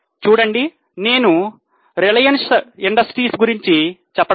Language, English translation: Telugu, See I am not referring to reliance industries